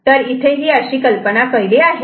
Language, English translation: Marathi, So, this is the idea right